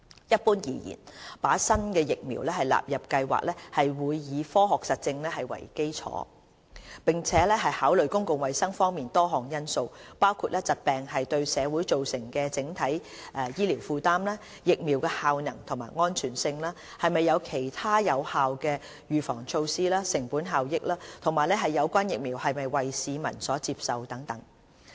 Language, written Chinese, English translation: Cantonese, 一般而言，把新疫苗納入計劃會以科學實證為基礎，並考慮公共衞生方面多項因素，包括疾病對社會造成的整體醫療負擔、疫苗的效能及安全性、是否有其他有效的預防措施、成本效益、有關疫苗是否為市民所接受等。, Generally speaking the incorporation of a new vaccine to HKCIP will be based on scientific evidence taking into account a number of public health considerations including the overall disease burden on society the efficacy and safety of the vaccine the availability of other effective preventive measures cost - effectiveness and public acceptance of the vaccine